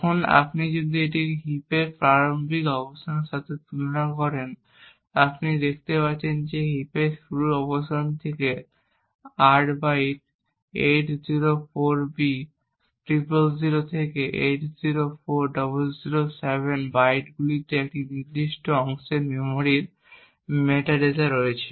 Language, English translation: Bengali, Now if you compare this with a start location of heap, you see that it is 8 bytes from the starting location of the heap, the bytes 804b000 to 804007 contains the metadata for this particular chunk of memory